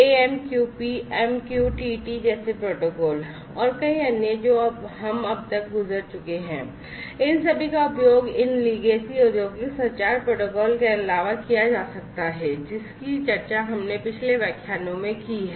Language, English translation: Hindi, Protocols such as AMQP, MQTT, and many others that we have gone through so far could all be used in addition to these legacy industrial communication protocols, that we have discussed in the previous lectures